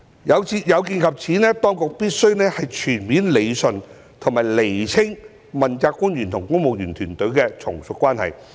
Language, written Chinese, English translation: Cantonese, 有見及此，當局必須全面理順及釐清問責官員與公務員團隊的從屬關係。, In view of this it is necessary to rationalize and clarify the subordinate relationship between the accountability officials and the civil service team